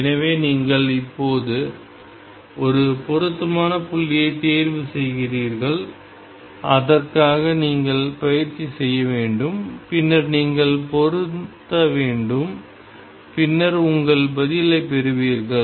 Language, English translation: Tamil, So, you choose a suitable point now for that you have to practice and you then match and then you get your answer